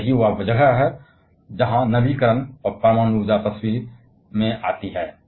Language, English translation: Hindi, And that is where the renewal and nuclear power comes into the picture